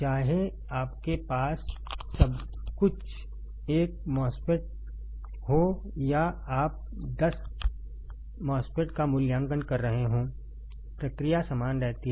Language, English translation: Hindi, Whether you have everything one MOSFET or you are evaluating ten MOSFETs the process remains the same right process remains the same